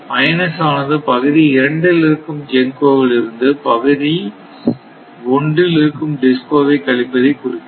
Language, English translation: Tamil, Now minus; minus, means demand of DISCOs in area 1 from GENCOs in area 2 in area 1 DISCO 1, DISCO 2 is 3 right